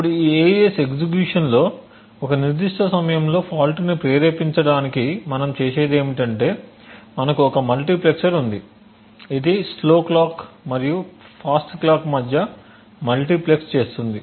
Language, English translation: Telugu, Now in order to induce a fault at a specific time during the execution of this AES what we do is we have a multiplexer which multiplexes between a slow clock and a fast clock